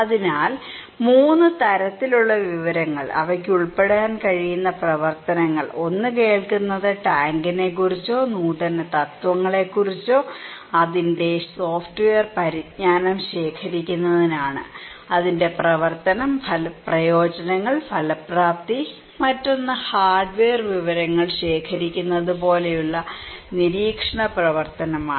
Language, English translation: Malayalam, So, 3 kind of information, activities they can involve, one is hearing that is hearing about the tank or innovations and to collect its software knowledge like it’s function, it’s utilities, it’s effectiveness, another one is observations activity like collecting hardware information, what is the shape, size and structure of that tank